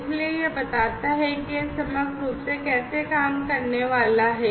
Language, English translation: Hindi, So, this is how it is going to work holistically